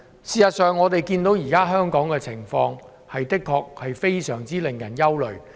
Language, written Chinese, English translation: Cantonese, 事實上，我們看到香港現時的情況的確令人非常憂慮。, The present situation of Hong Kong is indeed extremely worrying